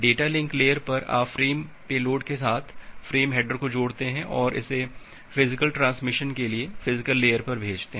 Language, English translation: Hindi, At the data link layer, you add up the frame header with the frame payload and send it to the physical layer for physical transmission